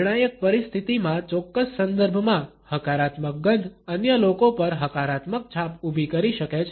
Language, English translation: Gujarati, A positive smell in a particular context in a critical situation can create a positive impression on the other people